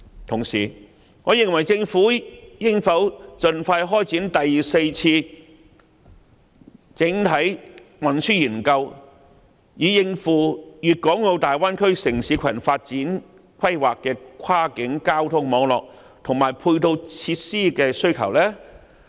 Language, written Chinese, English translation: Cantonese, 同時，政府應否盡快開展第四次整體運輸研究，以應付《粵港澳大灣區城市群發展規劃》的跨境交通網絡，以及配套設施的需求呢？, At the same time should the Government commence the Fourth Comprehensive Transport Study as soon as possible so as to cope with the demands for cross - boundary transport networks and support facilities necessitated by the Development Plan for a City Cluster in the Guangdong - Hong Kong - Macao Bay Area?